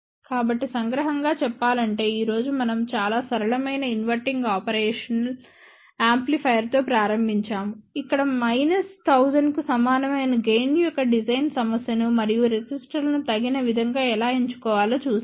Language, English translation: Telugu, So, just to summarize, today, we started with a very simple inverting operational amplifier where we did look at the design problem of gain equal to minus 1000 and how resistors should be chosen appropriately